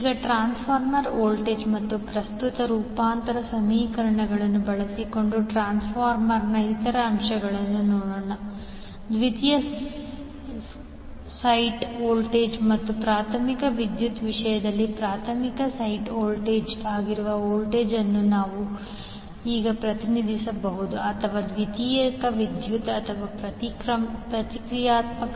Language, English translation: Kannada, Now, let us see other aspects of the transformer using transformer voltage and current transformation equations, we can now represent voltage that is primary site voltage in terms of secondary site voltage and primary current in terms of secondary current or vice versa